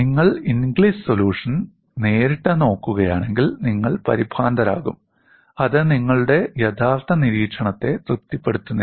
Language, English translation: Malayalam, If you directly look at Inglis solution, you will only get alarmed and it does not satisfy your actual observation